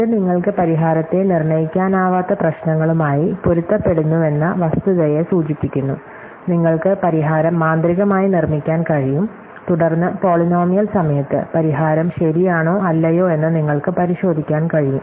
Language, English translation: Malayalam, So, it refers to the fact that these correspond to problems where you can non deterministically guess the solution, you can magically produce the solution and then in polynomial time, you can verify whether the solution is correct or not